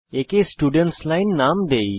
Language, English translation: Bengali, Let us name this the Students line